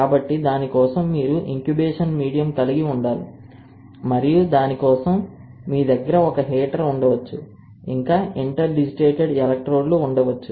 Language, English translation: Telugu, So, for that you had to have an incubation medium and for that you can have a heater and then interdigitated electrodes